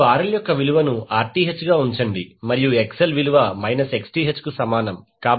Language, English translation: Telugu, You just simply put the value of RL as Rth and XL is equal to minus Xth